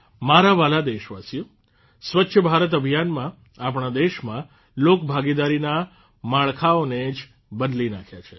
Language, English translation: Gujarati, My dear countrymen, Swachh Bharat Abhiyan has changed the meaning of public participation in our country